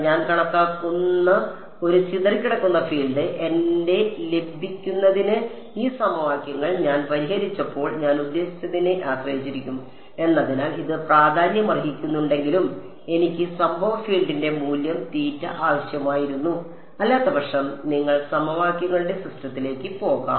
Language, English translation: Malayalam, While it will matter right because a scattered field that I calculate, will depend on the I mean when I solved these equations to get my phi, I needed the value of the incident field otherwise you going to a solved the system of equations